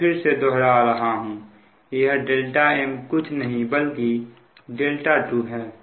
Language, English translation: Hindi, so again repeat, the delta m is nothing but delta two